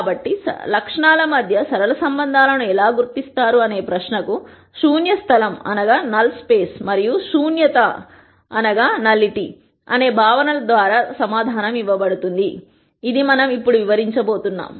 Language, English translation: Telugu, So, this question of how does one identify the linear relationships among attributes, is answered by the concepts of null space and nullity which is what we going to describe now